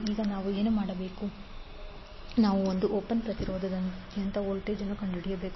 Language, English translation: Kannada, Now, what we have to do, we need to find out the voltage across 1 ohm resistance